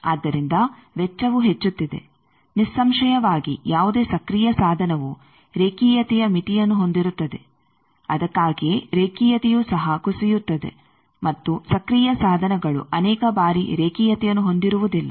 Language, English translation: Kannada, So, cost is increasing; obviously, the any active device has a linearity limit that is why linearity also degrade and active devices many times have non linearity’s